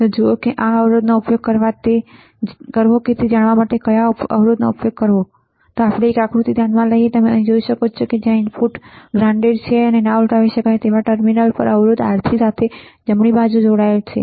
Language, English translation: Gujarati, So, see what resistance should be used right to know what resistance to use let us consider a figure below, which you can see here right where the input is also grounded and non inverting terminal is connected with the resistor R3 right